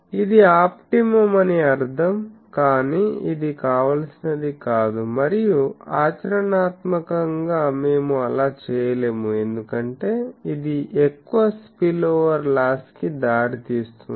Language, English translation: Telugu, So, that mean this is optimum, but this is not desirable and practically we cannot do that because, that will give rise to high spill over loss